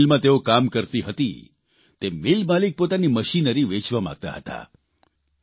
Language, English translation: Gujarati, The mill where they worked wanted to sell its machine too